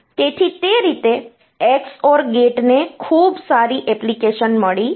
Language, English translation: Gujarati, So, that way XOR gate has got very good application